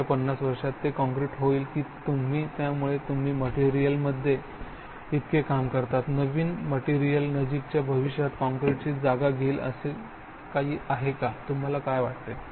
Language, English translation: Marathi, Will they be concrete in the next 50 years or do you, so you work so much in materials, new materials is there something that will replace concrete in the near future, what you think